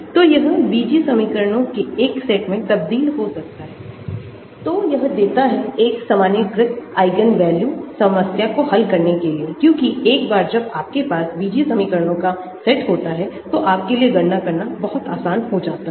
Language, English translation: Hindi, so this can be transformed into a set of algebraic equations, so this gives a generalized eigenvalue problem to solve because once you have an algebraic set of equations, it becomes much easier for you to calculate